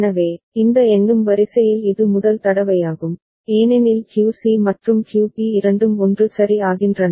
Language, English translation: Tamil, So, this is the first time in this counting sequence as you see that QC and QB both of them are becoming 1 ok